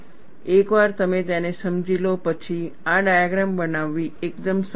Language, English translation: Gujarati, Once you understand it, constructing this diagram is fairly simple